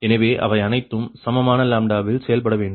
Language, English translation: Tamil, so they all have to operate at equivalent ah, equal lambda